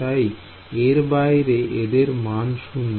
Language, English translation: Bengali, So, these are all 0 outside